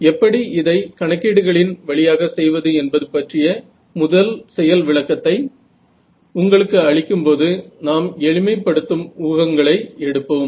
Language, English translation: Tamil, So, in order to give you a first demonstration of how to do this computationally again we will make simplifying assumptions